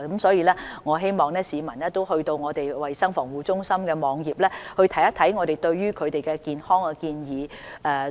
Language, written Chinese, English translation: Cantonese, 所以，我希望市民能瀏覽衞生防護中心的網頁，看看我們提出的一些健康建議。, Hence I hope the public will browse the CHP website and take a look at some of our health advices